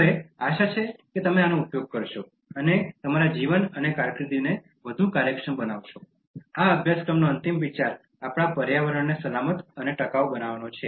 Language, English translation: Gujarati, Now, hoping that you will use these ones and make your life and career more efficient, the concluding thought of this course is to make our environment safe and sustainable